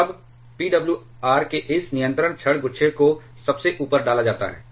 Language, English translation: Hindi, Now, in a PWR's this control rod clusters are inserted form the top